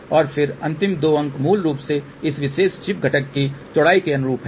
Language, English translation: Hindi, And then the last two digits basically correspond to the width of this particular chip component